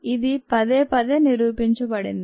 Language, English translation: Telugu, this is been shown repeatedly